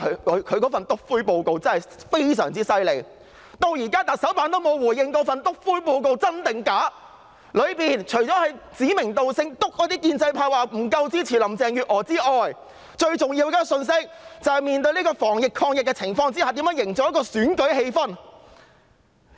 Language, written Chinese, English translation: Cantonese, 因為她的"篤灰"報告非常厲害，直到現在特首辦也沒有回應這份"篤灰"報告是否真的存在，報告裏除了指明建制派不夠支持林鄭月娥外，最重要的信息是，在防疫抗疫的情況下如何營造選舉氣氛。, It is because her snitching report is very powerful . To date the Chief Executives Office has refused to confirm the existence of this snitching report . Apart from stating that the pro - establishment camp has not been supportive enough of Carrie LAM the report also states which is the most important point how to create an advantageous atmosphere for the election amidst the work to prevent and contain the epidemic